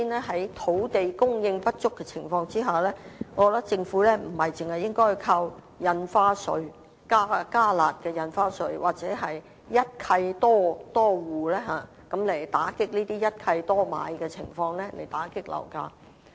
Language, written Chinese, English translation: Cantonese, 所以，在土地供應不足的情況下，首先，我認為政府不應該單靠"加辣"印花稅或推出針對一契多戶等措施，來打擊一契多買的情況和遏抑樓價。, For that reason I think that given the shortage of land supply first the Government should not rely on increasing the harshness of stamp duties and rolling out measures on curbing multiple purchases with one instrument as the only methods of curbing property prices